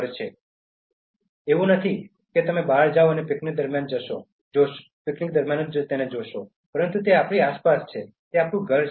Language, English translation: Gujarati, ” So, it is not something that you go out and see during a picnic, but it is our surrounding, it is our home